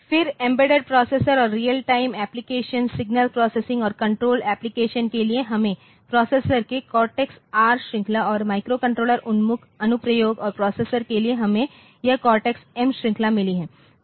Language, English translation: Hindi, Then for embedded processors and real time application, signal processing and control application we have got R cortex R series of processors and for microcontroller oriented applications and processors